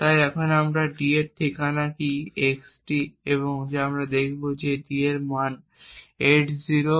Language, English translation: Bengali, So now we will also look at what the address of d is xd and what we see is that d has a value 804b008